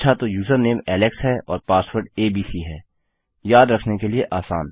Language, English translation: Hindi, Okay so user name is Alex and password is abc easy to remember